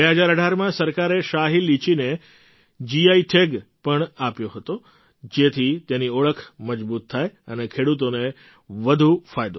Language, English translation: Gujarati, In 2018, the Government also gave GI Tag to Shahi Litchi so that its identity would be reinforced and the farmers would get more benefits